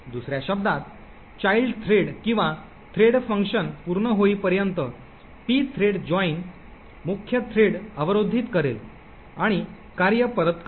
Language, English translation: Marathi, In other words, the pthread joint would block the main thread until the child thread or the threadfunc completes its execution and then the function would return